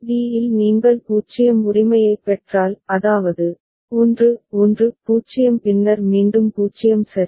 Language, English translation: Tamil, And when at d if you receive a 0 right so; that means, 1 1 0 then again 0 right